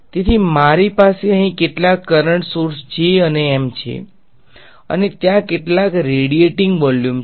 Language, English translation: Gujarati, So, I have some current sources over here J and M and there radiating in some volume ok